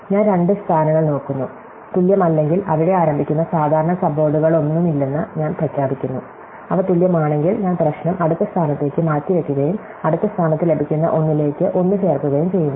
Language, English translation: Malayalam, So, I look at two positions, if there not equal, I declare that there is no common subwords starting there, if they are equal, then I postpone the problem to the next position and add 1 to whatever I get in next position